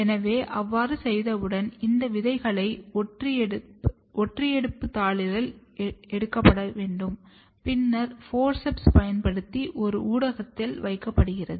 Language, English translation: Tamil, So, once it is done so, these seeds are taken on the blotting sheet and then using forceps it is placed on a media